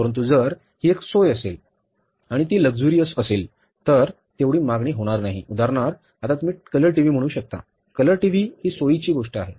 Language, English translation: Marathi, But if it is a comfort and if it is a luxury, for example now you talk about these days you can say color TVs